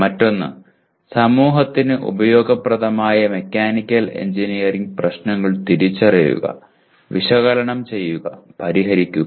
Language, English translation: Malayalam, Another one Identify, analyze, solve mechanical engineering problems useful to the society